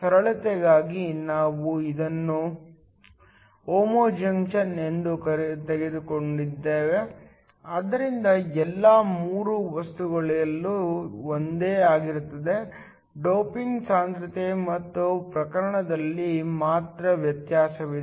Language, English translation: Kannada, For simplicity, we will just take this to be a homo junction, so all the three materials are the same; the only difference is in the doping concentration and the type